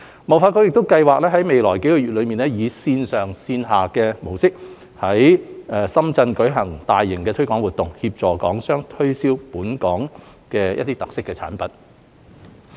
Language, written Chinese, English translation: Cantonese, 貿發局亦計劃於未來數個月以線上線下模式，在深圳舉辦大型推廣活動，協助港商推銷本港的特色產品。, HKTDC also plans to organize a major promotional event in both online and offline modes in Shenzhen in the coming months to help Hong Kong enterprises promote local specialty products